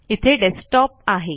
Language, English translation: Marathi, Okay, here is the desktop